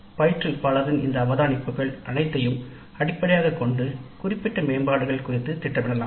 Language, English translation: Tamil, So based on all these observations by the instructor herself we can plan specific improvements